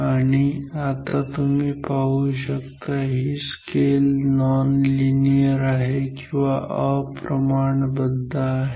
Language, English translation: Marathi, And, now you observe that this scale is non uniform non linear